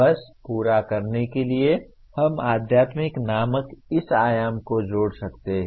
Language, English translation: Hindi, Just for completion we can add this dimension called spiritual